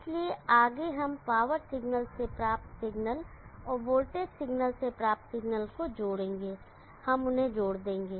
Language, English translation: Hindi, So next we will add the signal obtained from the power signal and the signal obtained from the voltage signal, we will add them up what do you expect